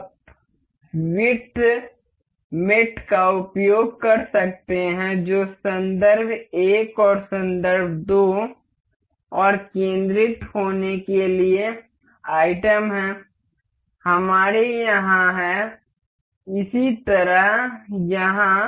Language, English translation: Hindi, You can use width mate that is reference 1 and reference 2 and the item to be centered; we here have; similarly here